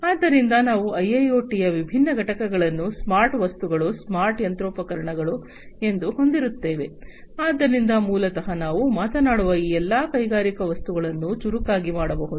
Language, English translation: Kannada, So, we will have the different components of IIoT as the smart objects that means, the smart machinery smart, you know, so basically all these industrial objects that we are talking about can be made smarter, so smart objects